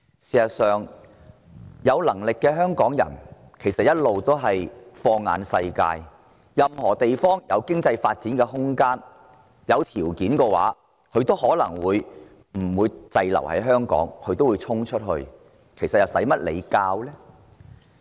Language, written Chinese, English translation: Cantonese, 事實上，有能力的香港人一直放眼世界，任何地方有經濟發展空間及優厚條件，他們都願意去闖一闖，不會呆在香港，哪需要政府提點？, As a matter of fact having been casting their sights around the world all along those talented Hongkongers instead of staying put in the territory are willing to have a go in whatever place that has room for economic development and favourable conditions to offer without any prompting from the Government